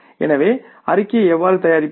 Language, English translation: Tamil, So, how do we prepare the statement